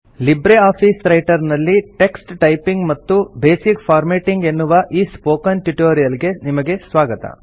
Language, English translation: Kannada, Welcome to the Spoken tutorial on LibreOffice Writer – Typing the text and basic formatting